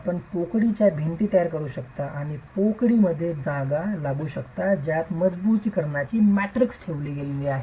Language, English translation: Marathi, You can construct cavity walls and have the cavity, the space in which the matrix of reinforcement is placed